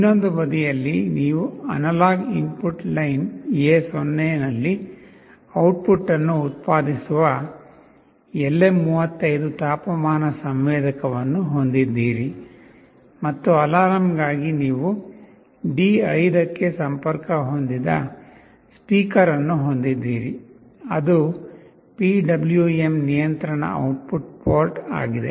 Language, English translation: Kannada, On the other side you have the LM35 temperature sensor that will be generating the output on analog input line A0, and for alarm you have a speaker that is connected to D5, which is a PWM control output port